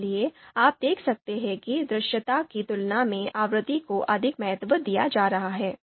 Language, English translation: Hindi, So you can see frequency is being given more importance you know in comparison with visibility